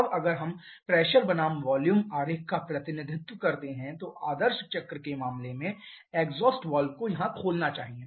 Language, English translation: Hindi, Now if we plot a pressure versus volume graph representation then in case of ideal cycle it should open here the exhaust valve